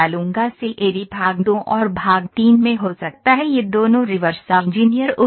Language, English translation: Hindi, CAD can be in part two and part three both this is reverse engineer equipment